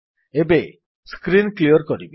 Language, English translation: Odia, Let us clear the screen